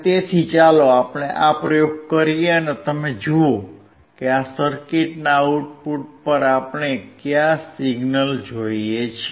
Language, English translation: Gujarati, So, let us do this experiment, and see what signals we see at the output of this circuit